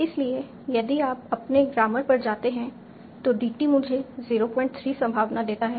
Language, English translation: Hindi, So if you go to your grammar, the probability that DT gives me a is 0